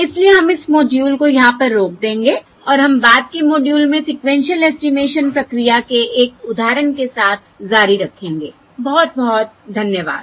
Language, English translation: Hindi, okay, So we will stop this module over here and we will continue with an example of the sequential estimation procedure in the subsequent module